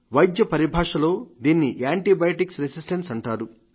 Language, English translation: Telugu, In medical parlance it is called antibiotic resistance